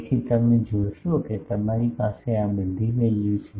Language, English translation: Gujarati, So, you see you have all these values